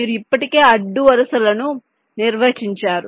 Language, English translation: Telugu, you already have the rows defined